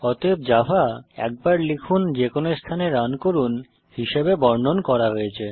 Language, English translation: Bengali, Hence, java is rightly described as write once, run anywhere